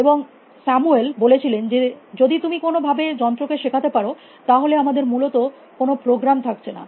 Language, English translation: Bengali, And Samuel said that, if you can make the machines learn then below have you program them essentially